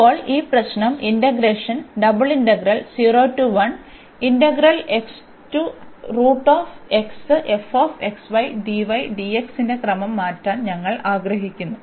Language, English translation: Malayalam, Now, this problem we want to change the order of integration